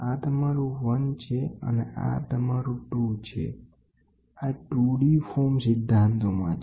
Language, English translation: Gujarati, This is your 1 and this is your 2 this is in a 2 d form principles